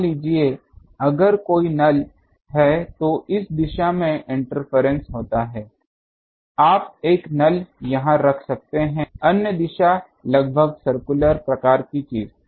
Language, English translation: Hindi, Suppose, if there is a null there is an interference from this direction you can put a null here other direction almost circular type of thing